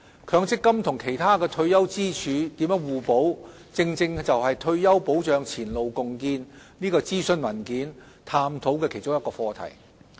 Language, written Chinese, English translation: Cantonese, 強積金與其他退休支柱如何互補，正正是《退休保障前路共建》諮詢文件探討的其中一個課題。, How to achieve complementarity between MPF and other retirement protection pillars is precisely one of the topics discussed in the consultation document entitled Retirement Protection Forging Ahead